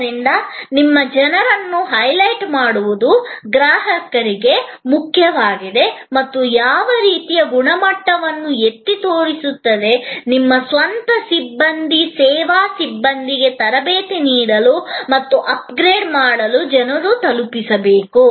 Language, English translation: Kannada, So, highlighting your people is important for the customer and highlighting the kind of quality, the people must deliver is also very important for training and upgrading your own personnel, service personnel